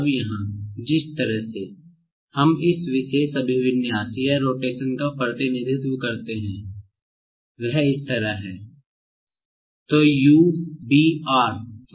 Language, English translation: Hindi, Now, here, the way we represent this particular orientation or rotation is like this